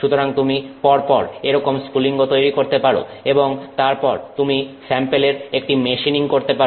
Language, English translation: Bengali, So, you do this spark by spark by spark and then you can do a machining of that sample